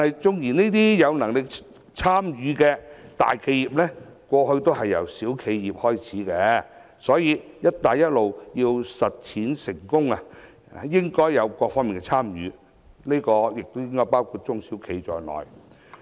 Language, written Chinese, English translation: Cantonese, 縱使有能力參與的都是大型企業，但過去也是由小型企業開始，所以，"一帶一路"要成功實踐，應有各方的參與，包括中小企。, Although the participating enterprises are all large enterprises some enterprises were initially small enterprises at the outset . Therefore if the Belt and Road Initiative is to succeed it should have the participation of all stakeholders including SMEs